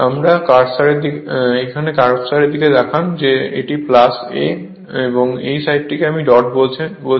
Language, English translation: Bengali, Look at the look at the my cursor this side is a plus, this side is your what you call dot